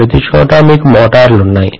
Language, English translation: Telugu, Everywhere you have motors